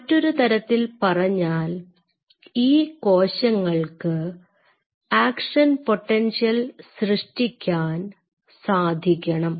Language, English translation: Malayalam, So, in other word it should be able to shoot an action potential